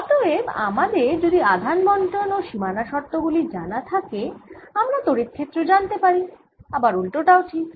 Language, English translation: Bengali, so if i know the charge distribution and the boundary condition, i know what the electric field is and vice versa